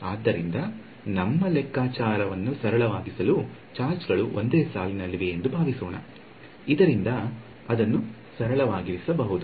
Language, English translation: Kannada, So, just to make our calculation simple let us pretend that the charges are on one line, just to keep it simple